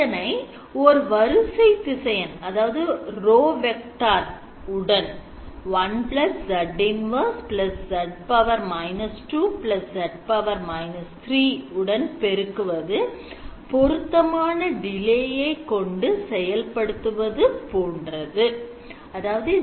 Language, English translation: Tamil, If you multiplied by a row vector which is 1 Z inverse Z minus 2 Z minus 3 is basically adding them with appropriate delays